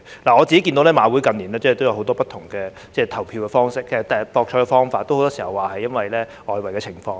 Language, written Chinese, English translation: Cantonese, 我看到馬會近年也有很多不同的博彩方式，很多時候也是由於外圍賭波的情況。, I have noticed that in recent years HKJC has introduced many different bet types often because of the situation of illegal football betting